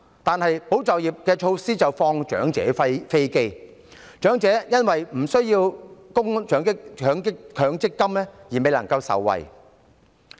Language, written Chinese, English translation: Cantonese, 但是，保就業措施並無惠及長者，長者因為無須就強制性公積金供款而未能受惠。, However the measures for safeguarding jobs do not benefit the elderly . The elderly cannot benefit because they do not have to make any Mandatory Provident Fund MPF contribution